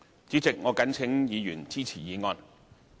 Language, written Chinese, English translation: Cantonese, 主席，我謹請議員支持議案。, President I urge Members to support the motion